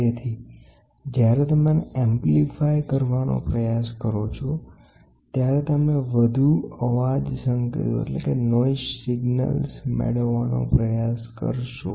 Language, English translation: Gujarati, So, when you try to amplify this, you will try to get more noise signals